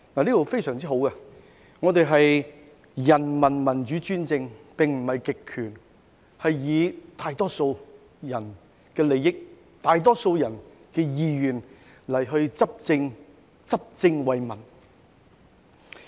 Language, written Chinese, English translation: Cantonese, "這是非常好的條文，訂明我們是人民民主專政而不是極權，是以大多數人的利益及意願來執政，執政為民。, This provision is very well written stating that we are not under a totalitarian regime but peoples democratic dictatorship which governs with the interests and will of the majority public as well as for the people